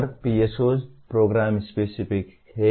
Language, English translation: Hindi, And PSOs are program specific